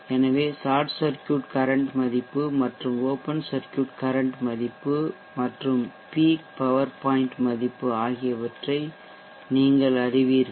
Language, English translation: Tamil, So you know the short circuit current value and the open circuit current value and also the peak power point value